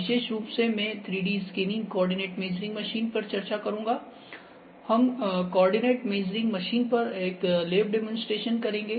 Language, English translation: Hindi, 3D measurements specifically, I will discuss 3D scanning coordinate measuring machine, we will have a lab demonstration on the coordinate measuring machine